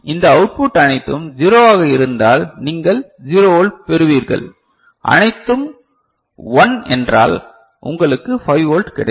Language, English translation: Tamil, And if this output is all 0, so you get 0 volt; if all 1, you get 5 volt right